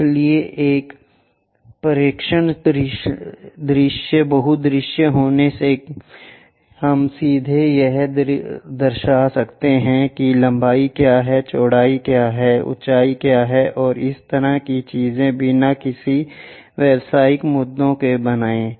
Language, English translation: Hindi, So, by having a view projection view multi view we can straight away represent what is length, what is width, what is height, and this kind of things without making any aberrational issues